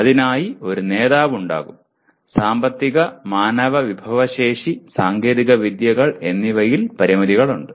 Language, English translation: Malayalam, There will be a leader for that and there are constraints in terms of financial and human resources and access to technologies